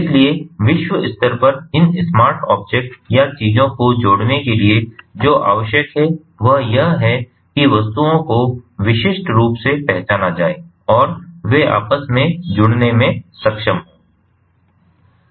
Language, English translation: Hindi, so what is required is to globally connect these smart object or the things, so that the objects are uniquely identified and they are able to interoperate between themselves